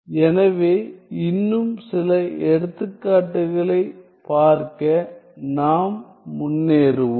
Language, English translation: Tamil, So, let us precede to look at some more complicated examples